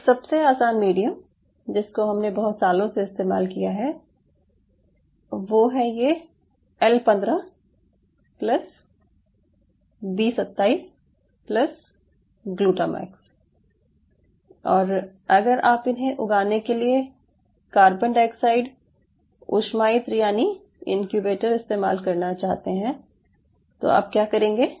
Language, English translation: Hindi, so one of the easiest medium what i have developed over the years is you take for this e fourteen, glutamax plus, if you wanted to use a, a carbon dioxide incubator, to grow them